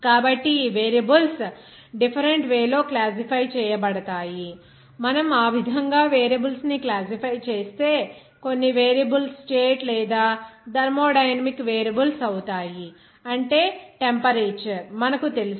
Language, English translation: Telugu, So, these variables are classified in a different way like if we classify the variables in that way, some variables would be state or thermodynamic variables, that is you know the temperature